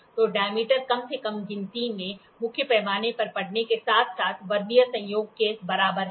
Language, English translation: Hindi, So, the diameter is equal to main scale reading plus Vernier coincidence into least count